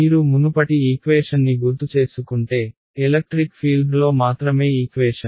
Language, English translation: Telugu, If you recall the previous equation was a equation only in electric field